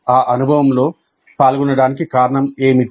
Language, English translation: Telugu, What is the reason for engaging in that experience